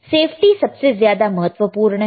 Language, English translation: Hindi, Safety is extremely important all right